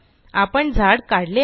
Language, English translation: Marathi, We have drawn a tree